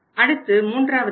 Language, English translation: Tamil, Then we move to the next step